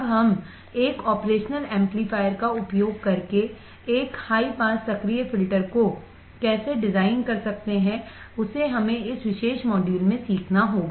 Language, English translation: Hindi, Now how can we design a high pass active filter using an operational amplifier that is the thing, that we have to learn in this particular module